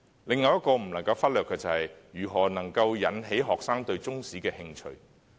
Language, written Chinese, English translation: Cantonese, 另一個不能忽略的，便是如何能夠引起學生對中史的興趣。, Another point not to overlook is how to arouse students interest in Chinese History